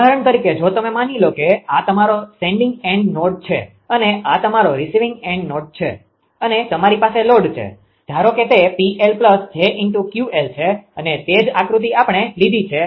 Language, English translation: Gujarati, Suppose if you take for example, suppose this is your sending end node and this is your receiving end node right and you have a load suppose it is P L plus j Q L and same diagram we have taken